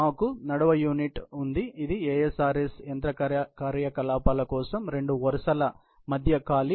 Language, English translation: Telugu, We have an aisle unit, which is the space between the two rows for the ASRS machine operations